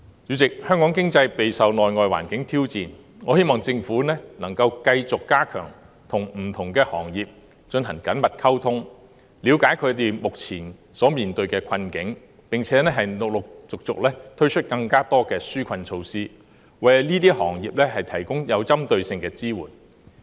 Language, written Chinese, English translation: Cantonese, 主席，香港經濟備受內外環境挑戰，我希望政府能夠繼續加強與不同行業進行緊密溝通，了解他們目前面對的困境，並陸續推出更多紓困措施，為這些行業提供針對性的支援。, President Hong Kong economy faces both internal and external challenges . I hope the Government can continue to strengthen the communication with various industries to better understand their present difficulties and gradually introduce more relief measures to provide targeted support to the industries